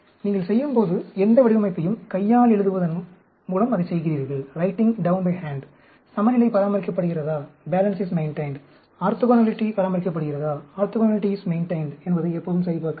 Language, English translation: Tamil, Any design you do, you are doing it by writing down by hand, always crosscheck whether balance is maintained, orthogonality is maintained